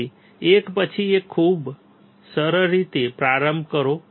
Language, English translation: Gujarati, So, start one by one very easy